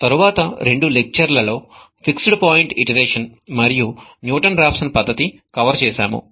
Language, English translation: Telugu, In the next two lectures, we covered fixed point iteration and Newton Raphson's method